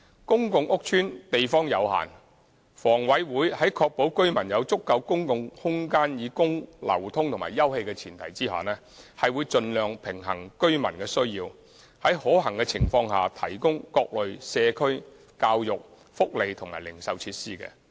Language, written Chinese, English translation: Cantonese, 公共屋邨地方有限，房委會在確保居民有足夠公共空間以供流通及休憩的前提下，會盡量平衡居民的需要，在可行情況下提供各類社區、教育、福利及零售設施。, Given the limited space in public housing estates HA will on the premise of ensuring that adequate open space is available for residents access and leisure endeavour to balance residents needs and provide various community educational welfare and retail facilities where feasible